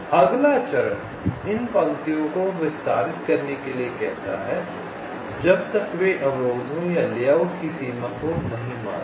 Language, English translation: Hindi, ok, the next step says to extend this lines till the hit obstructions or the boundary of the layout